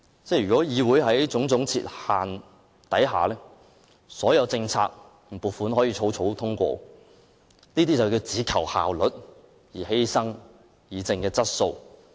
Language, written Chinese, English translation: Cantonese, 如果議會處處設限，所有政策和撥款便可草草通過，這些建議只求效率，而犧牲議政的質素。, If so many barriers are set all policies and funding applications can be passed hastily . These proposals only focus on efficiency at the expense of quality discussion of policies